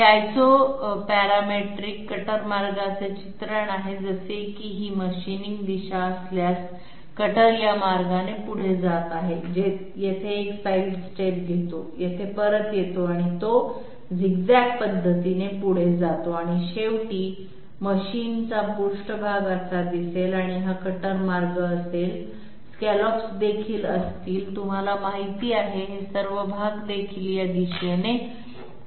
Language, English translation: Marathi, This is a depiction of Isoparametric cutter path like if this is the machining direction, the cutter is moving this way, takes a sidestep here, comes back here and it is moving by zig zag method and ultimately the machine surface will look like this and this will be the cutter path, scallops will also be you know of those upraised portions will also be oriented in this direction